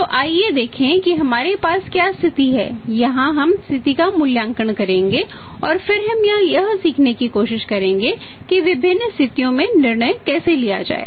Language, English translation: Hindi, So, let us see we have the situation here we will evaluate the situation and then we will try to learn that how to take the decision in the different situations